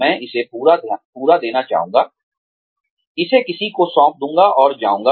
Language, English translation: Hindi, I would like to give it all up, give it handed over to somebody, and go